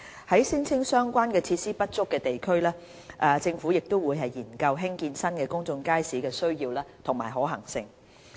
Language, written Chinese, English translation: Cantonese, 在聲稱相關設施不足的地區，政府亦會研究興建新公眾街市的需要及可行性。, The Government will also study the need and feasibility of providing new public markets in districts where relevant facilities are alleged to be insufficient